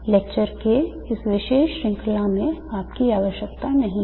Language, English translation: Hindi, Such treatments are not needed in this particular series of lectures